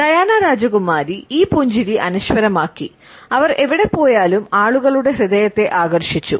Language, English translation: Malayalam, This smile has been immortalized by Princess Diana, who has captivated the hearts of people wherever she has gone